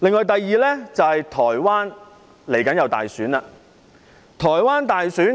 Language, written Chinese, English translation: Cantonese, 第二，台灣將會舉行大選。, Second Taiwan will hold its presidential election soon